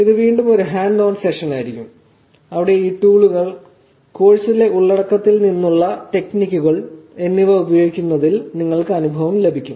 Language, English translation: Malayalam, This again would be a hands on session where you will get experience on using these tools, techniques from the content in the course